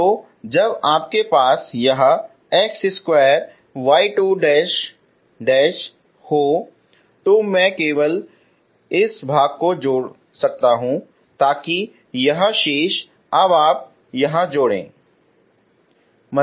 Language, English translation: Hindi, So when you have this x square y 2 double dash I added only this part so this remaining you can add here now